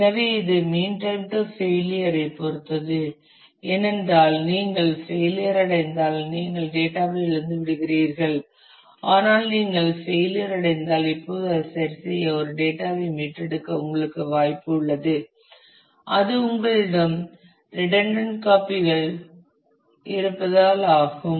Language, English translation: Tamil, So, which depends on mean time to failure, because if you are if you are failed then you have lost the data, but when you have failed you have a possibility now, to recover the data to repair it; because you have redundant copies